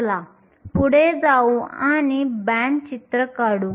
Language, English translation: Marathi, Let us go ahead and draw the band picture